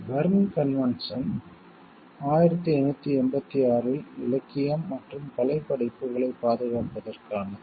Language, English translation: Tamil, Berne convention is for the protection of literary and artistic works in 1886